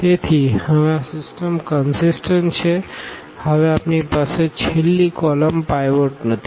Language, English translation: Gujarati, So, now, this system is consistent, we do not have pivot in the last column now